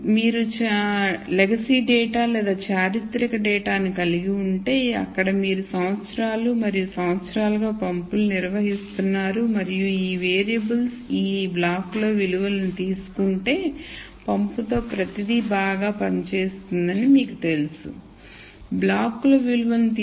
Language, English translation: Telugu, And if you have legacy data or historical data where you have been operating pumps for years and years and then you know that if these variables take values in this block then everything is fine with the pump